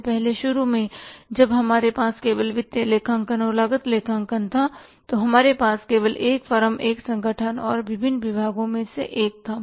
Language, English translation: Hindi, Earlier initially when we had only the financial accounting and cost accounting we had only one firm, one organization and one form different departments